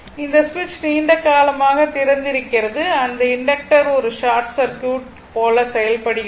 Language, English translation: Tamil, So, this switch was open for a long time means, that inductor is behaving like a short circuit right